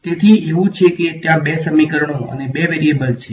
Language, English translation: Gujarati, So, it is like there are two equations and two variables right